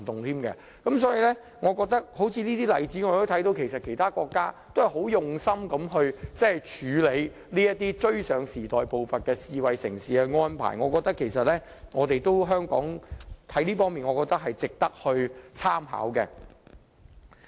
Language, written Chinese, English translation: Cantonese, 所以，從這個例子可以看到，其他國家也是很用心地處理這些追上時代步伐、符合智慧城市發展的安排，我覺得這方面值得香港參考。, Therefore from this example we can see that other countries are also putting in a lot of efforts to make these arrangements to catch up with the pace of the times and to tie in with smart city development . I think this is worthy reference for Hong Kong